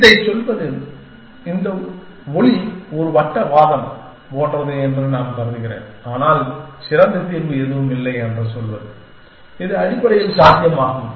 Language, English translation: Tamil, Is to say that, I mean this sound like a circular argument but, to say that there is no better solution, which is possible essentially